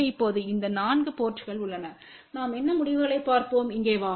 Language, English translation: Tamil, So, now, there are these 4 ports are there let us see what results we get over here